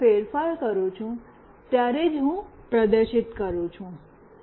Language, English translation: Gujarati, I am only displaying, when there is a change